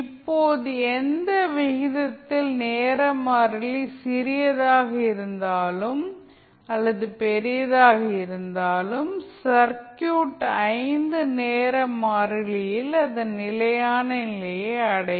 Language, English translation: Tamil, Now at any rate whether it is time constant is small or large, circuit will reaches at its steady state in 5 time constant